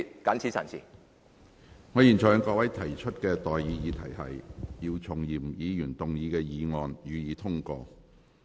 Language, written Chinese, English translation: Cantonese, 我現在向各位提出的待議議題是：姚松炎議員動議的議案，予以通過。, I now propose the question to you and that is That the motion moved by Dr YIU Chung - yim be passed